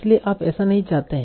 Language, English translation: Hindi, So you do not want that